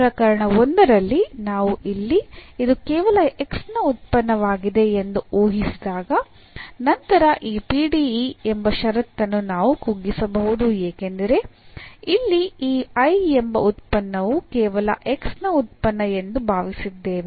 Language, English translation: Kannada, So, in the case 1, when we assume that this is a function of x alone then this PDE, the condition here can be reduced because we have assumed that this function here I is a function of x alone